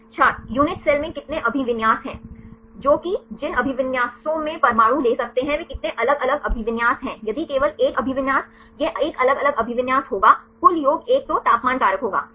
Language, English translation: Hindi, in unit cell how many orientations That the orientations which the atom can take how many different orientation if only one orientation this will be 1 different orientations the total sum will be one then temperature factor right